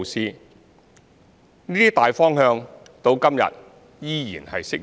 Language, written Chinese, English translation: Cantonese, 這些大方向至今依然適用。, These broad directions remain applicable today